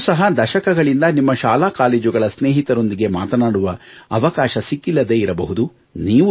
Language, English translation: Kannada, It's possible that you too might not have gotten a chance to talk to your school and college mates for decades